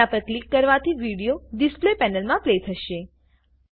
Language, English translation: Gujarati, Clicking on it will play the video in the display panel